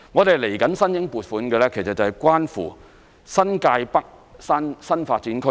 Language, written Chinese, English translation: Cantonese, 接下來我們申請撥款的是關乎新界北新發展區。, The next thing we will do is to seek funding approval for the New Territories North Development